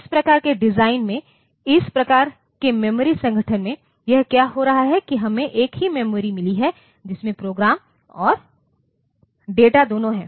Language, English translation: Hindi, In this type of design, in this type of memory organization, what is happening is that we have got the same memory containing both program and data